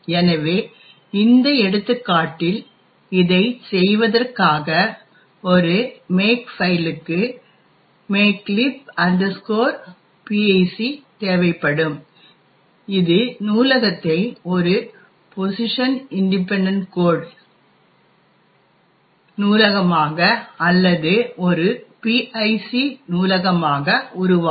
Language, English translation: Tamil, So, in order to do this in this example how a makefile would require makelib pic which would generate the library as a position independent code library or a pic library